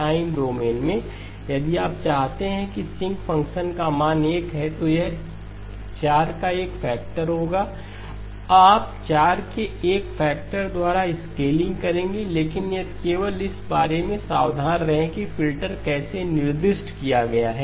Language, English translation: Hindi, In the time domain, if you want the sinc function to have a value of 1 then this would have a factor of 4 in which case you will end up scaling by a factor of 4 but if so just be careful about how the how the filter is specified